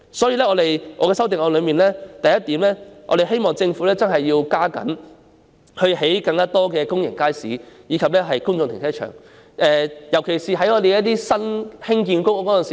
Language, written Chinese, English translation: Cantonese, 因此，我的修正案的第一項，是希望政府加緊興建更多公營街市及公眾停車場，尤其是在新的公營房屋項目中。, In the first item in my amendment I urge the Government to construct more public markets and public car parks particularly in new public housing projects